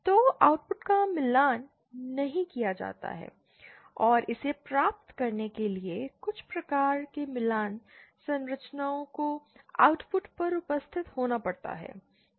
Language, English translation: Hindi, So, the outputs are not matched and some kind of matching structures have to be present at the output to achieve this